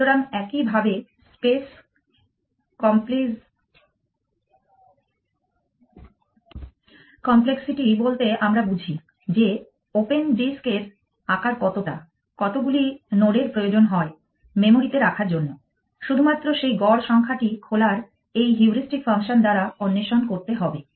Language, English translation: Bengali, So, similarly by space complexity we mean the size of the open disk how many nodes does it need to keep in the memory only those mean number of open it explore by this heuristic function this heuristic function is there's the best